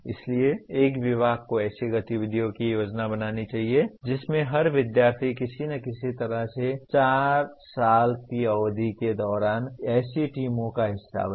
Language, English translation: Hindi, So a department should plan activities in which every student will somehow find part of such teams during the 4 years’ period